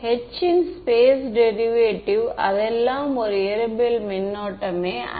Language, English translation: Tamil, The space derivative of h that is all it is not a physical current ok